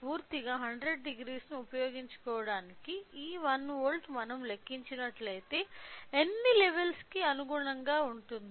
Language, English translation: Telugu, So, in order to utilize a complete 100 degree so, this 1 volt will be corresponding to how many number of levels if we calculate